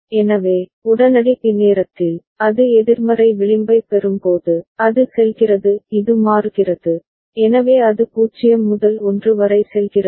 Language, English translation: Tamil, So, only at time instant b, when it gets a negative edge, it goes it toggles, so it goes from 0 to 1